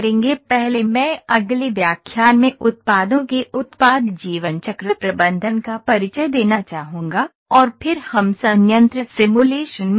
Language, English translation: Hindi, First I will like introduce to products product lifecycle management in the next lecture, and then we will go to the plant simulation